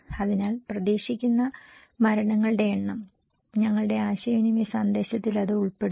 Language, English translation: Malayalam, So, expected number of fatalities, if our is communication message is including that component